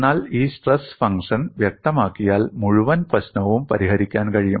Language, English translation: Malayalam, But once the stress function is specified, the entire problem can be solved